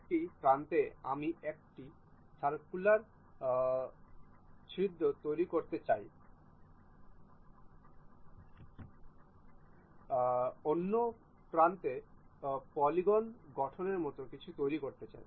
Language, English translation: Bengali, At one end I would like to make a circular hole other end I would like to make something like a polygonal hole